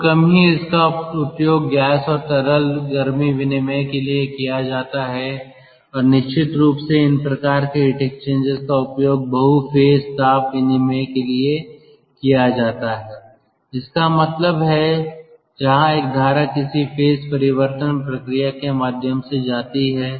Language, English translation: Hindi, it is used for gas and liquid ah heat exchange and of course these kind of heat exchangers are used for multi phase heat exchange heat, as multi phase heat exchanges that means where one of the stream goes through some sort of a phase change process